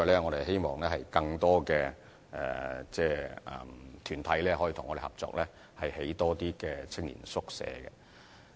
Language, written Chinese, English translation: Cantonese, 我們希望更多團體和政府合作，興建更多青年宿舍。, We hope more organizations can cooperate with the Government to build more youth hostels